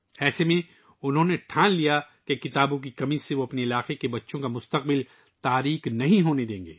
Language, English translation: Urdu, In such a situation, he decided that, he would not let the future of the children of his region be dark, due to lack of books